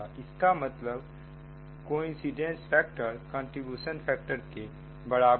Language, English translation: Hindi, the coincidence factor in this case is equal to the average contribution factors